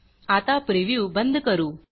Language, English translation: Marathi, Lets now look at a preview